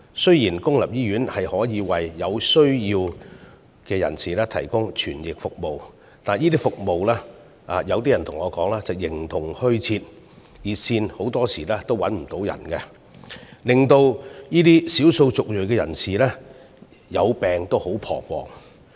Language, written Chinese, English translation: Cantonese, 雖然公營醫院可以為有需要人士提供傳譯服務，但有人對我說，這些服務形同虛設，有關熱線經常無人接聽，令少數族裔人士在患病時感到很彷徨。, Although interpretation service is available for people who require it at public hospitals I have been told that this service seems to exist in name only . It is often the case that no one answers the relevant hotline thus causing distress to ethnic minority patients